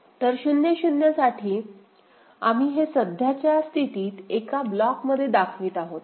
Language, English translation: Marathi, So, for 0 0, so 0 0, so we are showing it in one block right, the current state